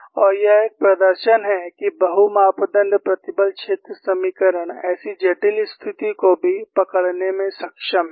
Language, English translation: Hindi, And it is a demonstration, that the multi parameters stress field equations are able to capture even such a complex situation